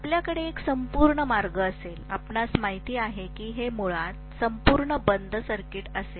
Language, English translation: Marathi, You will have a complete path; you know it will be a complete closed circuit basically